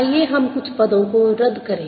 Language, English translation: Hindi, lets cancel a few terms